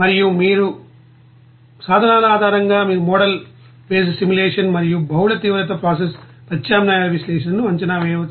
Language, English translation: Telugu, And based on this you know tools you can assess the model based simulation and analysis of multiple intensified process alternatives